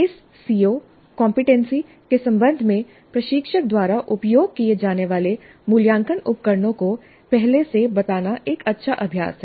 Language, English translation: Hindi, It is a good practice to state upfront the assessment instruments that will be used by the instruction in relation to this CO or competency